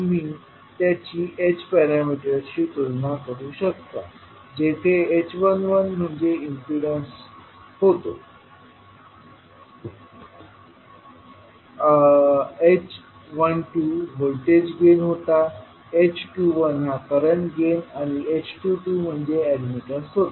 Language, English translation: Marathi, So you can correlate with, you can compare them with the h parameters where h11 was impedance, h12 was voltage gain, h21 was current gain